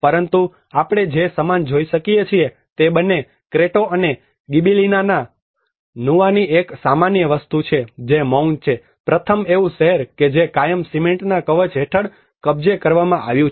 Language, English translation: Gujarati, But what we can see similar is both the Cretto and Gibellina Nuova has one common thing which is silence, the first is a city forever captured under a shroud of cement